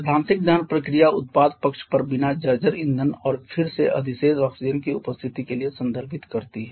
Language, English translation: Hindi, The theoretical combustion process refers to no presence of unburned fuel and again surplus oxygen on the product side